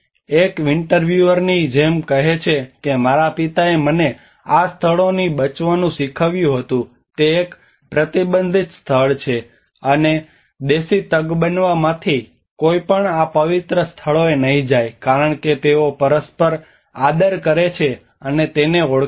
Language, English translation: Gujarati, Like one of the interviewers say that my father taught me to avoid these places it is a forbidden place, and none of the indigenous Tagbanwa would go to these sacred places because they mutually respect and recognize it